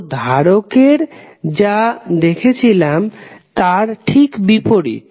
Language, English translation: Bengali, So, opposite to what we saw in the capacitor